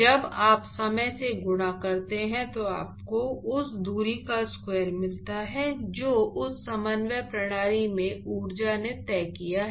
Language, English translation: Hindi, So, when you multiply by time, what you get is the square of the distance that the energy has traveled in that coordinate system, right